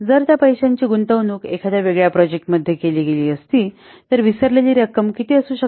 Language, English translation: Marathi, If that money could have been invested in a different project, then what could be the forgone amount